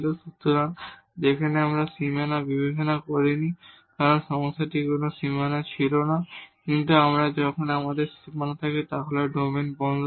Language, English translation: Bengali, So, where we have not considered the boundary because, there were no boundaries in the problem, but this here we have to if there is a boundary the domain is closed